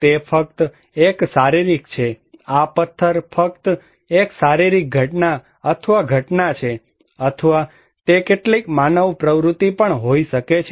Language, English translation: Gujarati, It is just a physical, this stone is just a physical event or phenomena, or it could be some human activity also